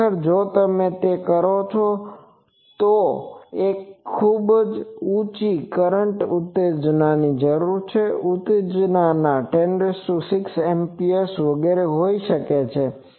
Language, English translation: Gujarati, Actually, if you do that you will see that they required one thing is very high currents excitations typically, excitations may be in the 10 to the power 6 Amperes etc